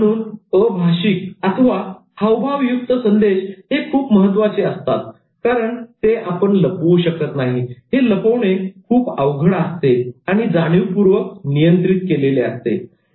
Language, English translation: Marathi, So, non verbal messages are very important, but they are important for reasons like they are very difficult to hide, they are harder to hide and consciously control